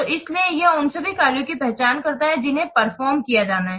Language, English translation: Hindi, So, so it identifies all the tax that have to be performed